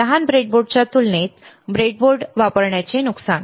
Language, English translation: Marathi, Disadvantage of using a breadboard compared to the smaller breadboard